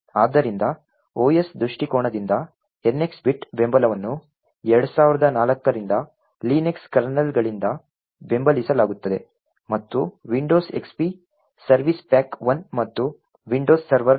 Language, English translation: Kannada, So, the NX bit support from the OS perspective has been supported from the Linux kernels since 2004 and also, Windows XP service pack 1 and Windows Server 2003